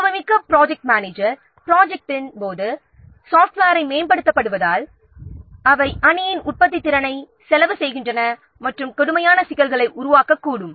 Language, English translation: Tamil, The experienced project managers, they know that the software upgrades during the project, they cost the team productivity and may create serious problems